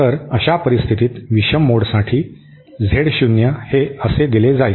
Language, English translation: Marathi, So, in that case for the odd mode Z00 will be given by